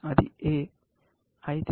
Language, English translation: Telugu, A; why is it